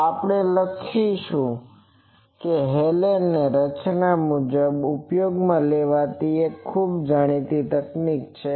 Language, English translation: Gujarati, So, we will write the Hallen’s formulation is a very well known technique very much used